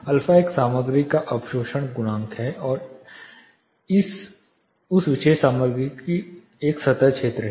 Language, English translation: Hindi, Alpha is absorption coefficient of a material and S is a surface area of that particular material